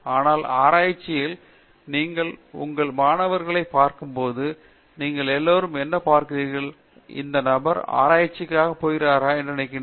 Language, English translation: Tamil, But, in research, what all do you look at as when you see your students and you feel that this person is going as a researcher